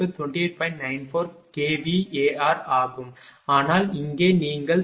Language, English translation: Tamil, 94 kilowatt, but here if you look it is 26